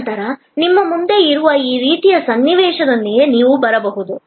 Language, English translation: Kannada, And then, you might come up with this kind of a scenario which is in front of you